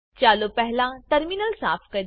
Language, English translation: Gujarati, Lets clear the terminal first